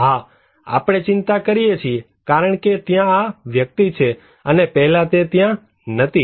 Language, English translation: Gujarati, Yes, we concern because this person is there and earlier he was not there